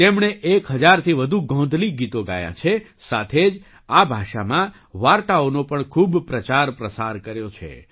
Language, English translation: Gujarati, He has sung more than 1000 Gondhali songs and has also widely propagated stories in this language